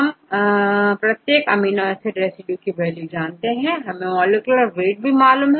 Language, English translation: Hindi, We know the values for each amino acid residues, the molecular weights